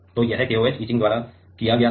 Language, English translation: Hindi, So, this is this was done by KOH etching